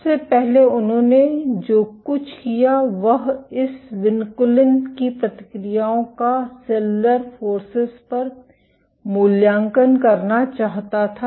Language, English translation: Hindi, What they first did was they wanted to evaluate the responses of this vinculin to cellular forces